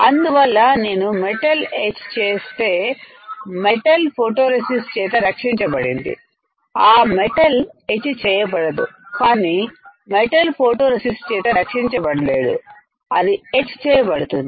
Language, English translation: Telugu, So, metal which is protected by my photoresist will not get etched, but metal which is not protected by my photoresist will get etched